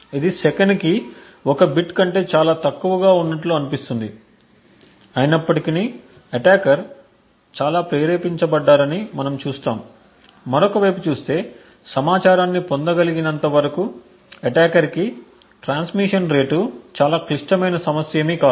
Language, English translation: Telugu, This seems to be much less than 1 bit per second but nevertheless we see that attackers are quite motivated, and the rate of transmission is not a very critical issue for attackers as long as the information can be obtained on the other side